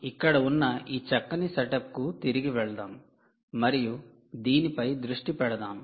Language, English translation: Telugu, lets go back to this nice setup that we have here and lets focus on this